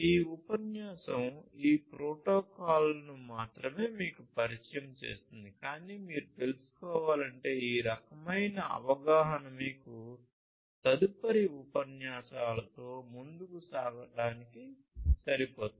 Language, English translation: Telugu, This lecture introduces you to only these protocols it only introduces you, but then if you need to you know this kind of understanding will be sufficient for you to go ahead with the further lectures that we have in this course